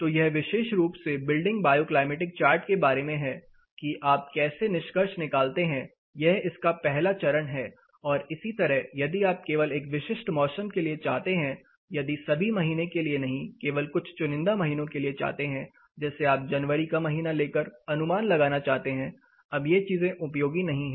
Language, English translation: Hindi, (Refer Slide Time: 31:16) So, this is particularly about the building bioclimatic chart how you draw inferences this is the first step of it, and you know similarly if you want only for a specific season, if not for all month only for a selected months say you take the month of January and you want to estimate these things becomes not useful